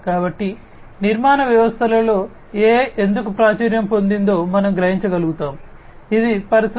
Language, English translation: Telugu, So, that we will be able to realize that why AI is popular in building systems, which can help achieve the objectives of Industry 4